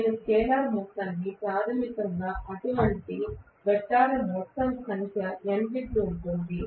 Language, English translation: Telugu, I have to say scalar sum basically is going to be n times whatever is the total number of such vectors that is it